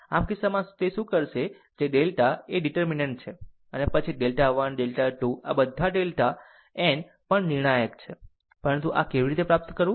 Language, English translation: Gujarati, So, in this case what we will do that delta is the determinant, and then the delta 1 delta 2 all delta n also determinant, but how to obtain this